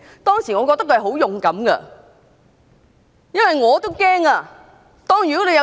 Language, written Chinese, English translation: Cantonese, 當時我覺得他十分勇敢，因為我也感到害怕。, I thought he was very brave because I was kind of scared